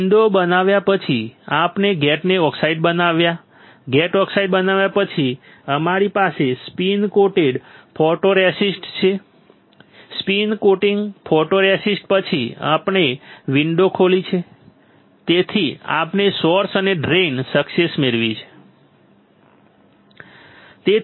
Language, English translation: Gujarati, After creating a window, we created a gate oxide, after creating gate oxide we have spin coated photoresist after the spin coating photoresist right we have opened the window such that we can get the access to the source and drain